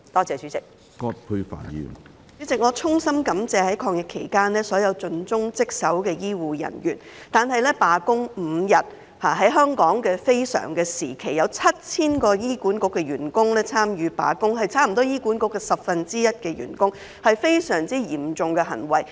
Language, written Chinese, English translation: Cantonese, 主席，我衷心感謝所有在抗疫期間盡忠職守的醫護人員，但在香港的非常時期，有7000名醫管局員工參與罷工5天，差不多是醫管局員工的十分之一，這是非常嚴重的行為。, President I would like to extend my heartfelt thanks to all the healthcare personnel who are highly dedicated to their duties during the fight against the epidemic . Yet 7 000 staff members of HA accounting for almost one - tenth of the HA staff participated in the five - day strike under such an exceptional circumstance in Hong Kong . This is extremely serious